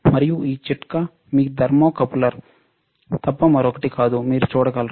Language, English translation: Telugu, And that tip is nothing but your thermocouple, you can see